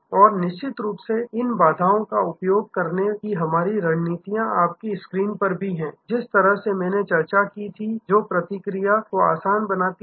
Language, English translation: Hindi, And of course, our strategies to use these barriers are also there on your screen the way I discussed that make feedback easy